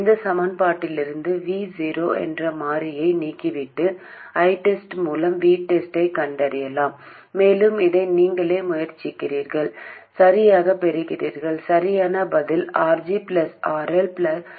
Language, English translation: Tamil, And you can eliminate the variable V0 from these equations and find V Test by I test and hopefully I have tried this by yourself and you got it correctly and the correct answer is RG plus RL divided by GMRL plus 1